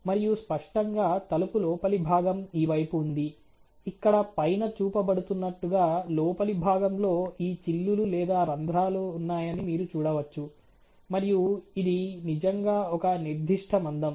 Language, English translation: Telugu, And obviously, the door inner is this side, the one which is being shown top of here where you can see the inner member having this perforation or holes and it is really a certain amount of thickness